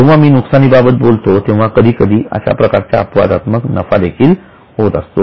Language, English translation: Marathi, When I am referring to losses, it can also be profits sometimes